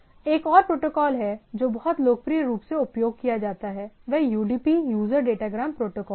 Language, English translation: Hindi, There is another protocol which is also very popularly used it’s UDP, User Datagram Protocol